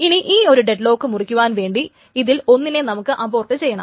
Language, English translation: Malayalam, Now, to break the deadlock, one of them must be aborted